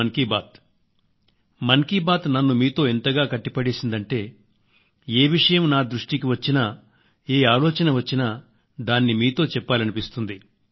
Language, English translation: Telugu, Mann Ki Baat has bonded me with you all in such a way that any idea that comes to me, I feel like sharing with you